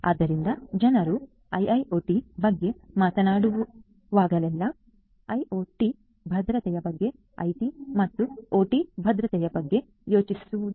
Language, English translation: Kannada, So, whenever people talk about IIoT, they simply think about IoT security not IT and OT security integrated as a whole